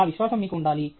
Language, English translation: Telugu, That confidence you should have